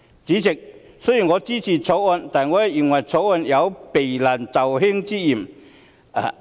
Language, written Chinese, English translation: Cantonese, 主席，我雖然支持《條例草案》，但認為《條例草案》有避難就易之嫌。, President while I support the Bill I think the Bill smacks of having elected the expedient approach